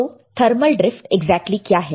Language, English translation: Hindi, So, what exactly is a thermal drift